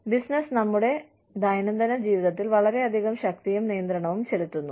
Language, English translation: Malayalam, Business is exerting, a lot of power and control, on our daily lives